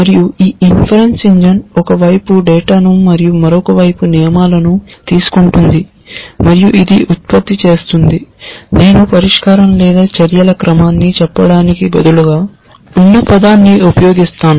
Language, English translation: Telugu, And this inference engine takes on the one hand data and on the other hand rules and it generates the, I will just use the loose term to say the solution or a sequence of actions